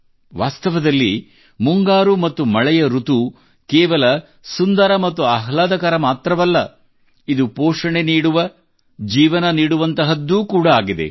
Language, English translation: Kannada, Indeed, the monsoon and rainy season is not only beautiful and pleasant, but it is also nurturing, lifegiving